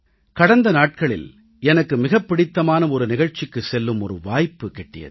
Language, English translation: Tamil, Recently, I had the opportunity to go to one of my favorite events